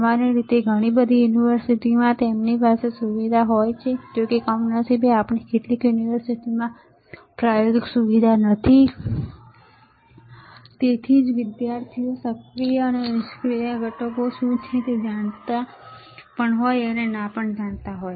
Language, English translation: Gujarati, Generally, lot of universities they have the facility; however, unfortunately few of the universities we do not have the experimental facility, and that is why the students may or may not know what are the active and passive components